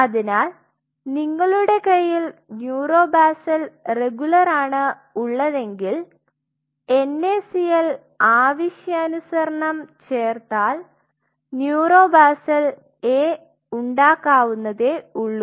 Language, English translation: Malayalam, So, essentially you can have a neuro basal regular, and you add that pre requisite amount of NaCl to make it neuro basal A